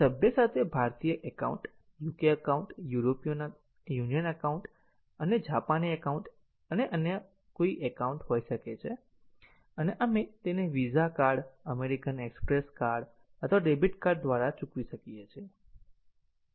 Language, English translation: Gujarati, So, the member might have an Indian Account, UK Account, European Union Account or Japanese Account or any other account and we might pay it through a VISA Card, American Express Card or a Debit Card